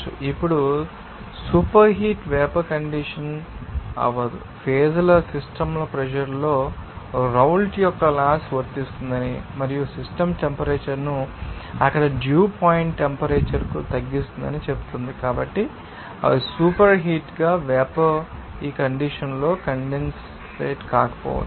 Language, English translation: Telugu, Now, superheated vapor cannot condense unless that in phase system pressure says that Raoult’s law applies and also decrease the system temperature to the dew point temperature there so, these are the conditions they are to you know the superheated vapor who is may not be condensate at this condition